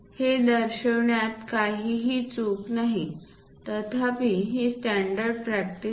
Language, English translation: Marathi, There is nothing wrong in showing this; however, this is not a standard practice